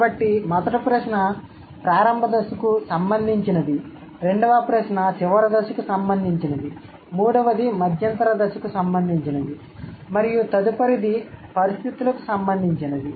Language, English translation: Telugu, So, first question is related to the initial stage, second question is related to the final stage, third is about the intermediate stage and fourth one is about the conditions